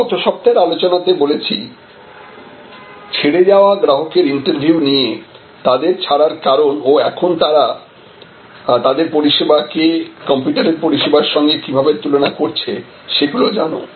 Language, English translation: Bengali, So, we discussed last week about exit interviews going back to passed customers and finding out, why the left and how are they now comparing your service with your competitor service and so on